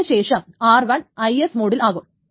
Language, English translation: Malayalam, Then this is IS mode